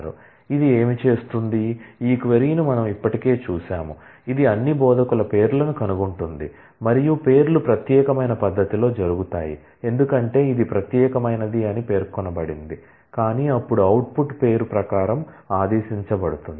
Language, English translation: Telugu, So, what this will do, we have already seen this query this will find out the names of all the instructors and the names will occur in a distinct manner because, distinct is specified, but then the output will be in terms ordered by the name